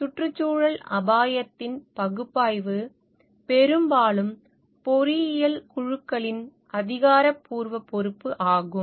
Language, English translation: Tamil, Analysis of environment risk is often the official responsibility of engineering teams